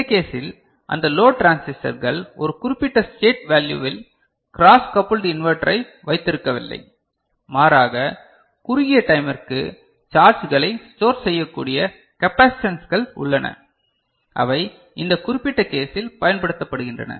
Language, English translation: Tamil, In this case, it is those load transistors are not there holding the cross coupled inverter in one particular state value, rather the capacitances that are there which can store charges for a short time, they are used in this particular case